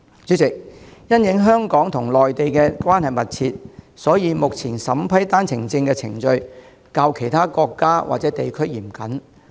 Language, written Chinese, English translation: Cantonese, 主席，香港與內地關係密切，所以目前審批單程證程序較審批其他國家或地區來港的申請嚴謹。, President given the close relationship between Hong Kong and Mainland China the vetting and approval of OWP application are more stringent than those from other countries and areas